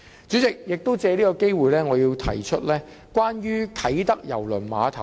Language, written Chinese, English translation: Cantonese, 主席，我亦藉此機會說說啟德郵輪碼頭。, Chairman I wish to take this opportunity to talk about the Kai Tak Cruise Terminal KTCT